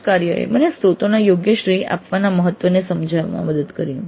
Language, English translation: Gujarati, Project report helped me in understanding the importance of proper attribution of sources